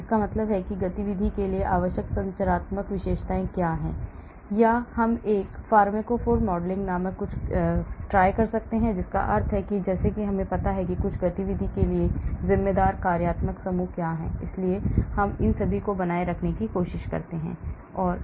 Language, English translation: Hindi, that means what are the structural features required for the activity, or I do something called a pharmacophore modelling that means I know what are the functional groups responsible for certain activity so I try to retain all these